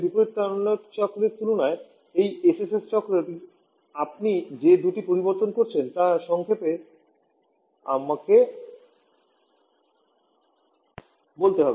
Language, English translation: Bengali, Let me just summarise the two changes that you are having in this SSS cycle compared to the reverse Carnot cycle